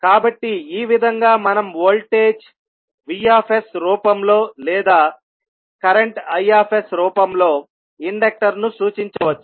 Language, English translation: Telugu, So, in this way we can represent the inductor either for in the form of voltage vs or in the form of current i s